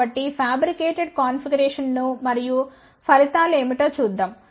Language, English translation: Telugu, So, let's see the fabricated configuration and what are the results